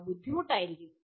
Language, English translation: Malayalam, They may be difficult